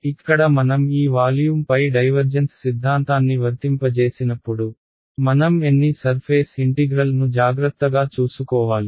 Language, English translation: Telugu, Then when I apply the divergence theorem to this volume over here, how many surface integrals will I have to take care of